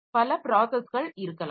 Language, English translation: Tamil, So, there may be several processes